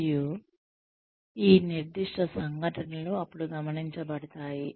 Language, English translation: Telugu, And, these specific incidents are then, taken note of